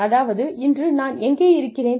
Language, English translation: Tamil, Where am I today